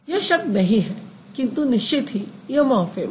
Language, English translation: Hindi, So, it is no word but it is definitely a morphim